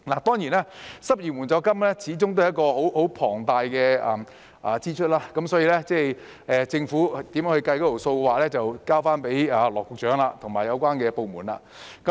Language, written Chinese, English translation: Cantonese, 當然，失業援助金始終是一項龐大開支，政府如何計算有關開支，就交給羅局長及有關部門處理。, Of course unemployment assistance after all incurs massive expenditure . As to how the Government will calculate such expenditure I would leave it to Secretary Dr LAW and the relevant departments